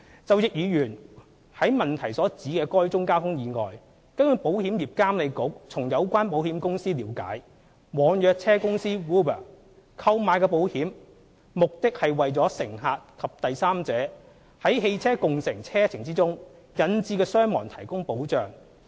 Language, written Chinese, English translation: Cantonese, 就易議員於質詢所指的該宗交通意外，據保險業監管局從有關保險公司了解，網約車公司 "Uber" 購買的保險，目的是為乘客及第三者在汽車共乘車程中引致的傷亡提供保障。, As for the traffic accident referred to in Mr Frankie YICKs question the Insurance Authority IA understands from the relevant insurance company that the insurance policy taken out by online car hailing company Uber aims to insure passengers and third parties against injury or death caused by ride - sharing trips